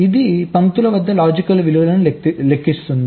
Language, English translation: Telugu, it will compute the logic values at the lines